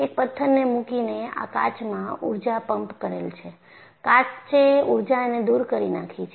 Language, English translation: Gujarati, By putting a stone, I have pumped in energy to this glass and glass has to dissipate the energy